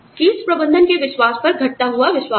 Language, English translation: Hindi, Dwindling confidence in the confidence of top management